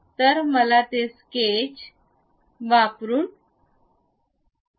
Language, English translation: Marathi, Let us try that a sketch